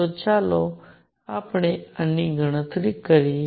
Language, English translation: Gujarati, So, let us calculate this